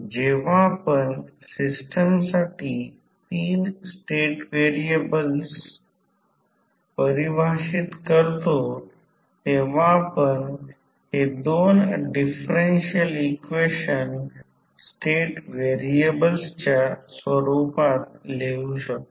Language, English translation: Marathi, So, when we define these 3 state variables for the system we can write these 2 differential equation in the form of the state variable